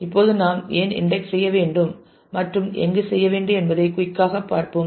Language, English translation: Tamil, Now, we will quickly take a look into why how should we index and where